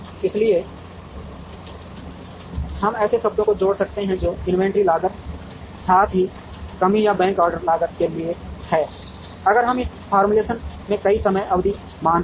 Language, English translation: Hindi, So, we could add terms that are for inventory cost, as well as shortage or back order cost, if we consider multiple time periods in this formulation